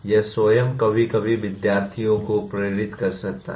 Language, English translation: Hindi, That itself can sometimes can be motivating to students